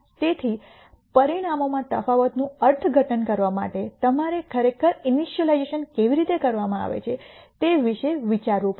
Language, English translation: Gujarati, So, to interpret the difference in the results you have to really think about how the initialization is done